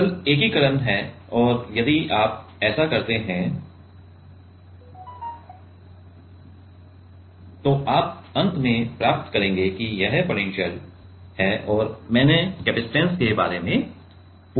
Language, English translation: Hindi, Simple integration and if you do that then you will get finally, that this is the potential right and I have asked about capacitance